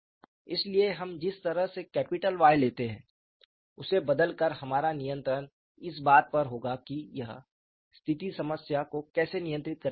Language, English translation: Hindi, So, by changing what way we take capital Y, we would have control on how this condition is going to dictate the problem